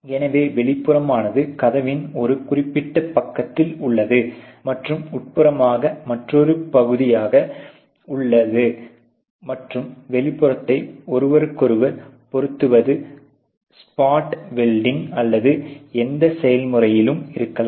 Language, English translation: Tamil, So, the outer is on one particular side of the door and the inner in on another new hamming the inner and outer with respect to each other with spot welding or whatever processes